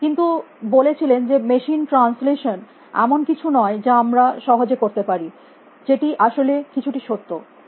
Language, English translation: Bengali, set that machine translation is not something that we can do so easily, which is actually quite rule